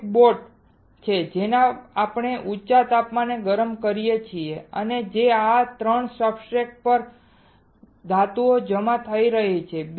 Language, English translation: Gujarati, There is a boat which we have heated at high temperature and that is why the metal is getting deposited onto these 3 substrates